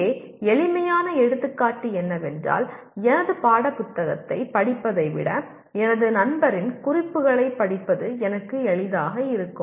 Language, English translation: Tamil, Here simple example is I know that reading the notes of my friend will be easier for me than reading my textbook